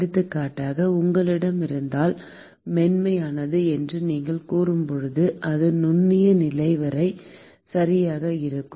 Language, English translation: Tamil, For example, if you have when you say smooth, it is smooth all the way up to the microscopic level right